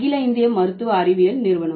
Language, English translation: Tamil, All India Institute of Medical Sciences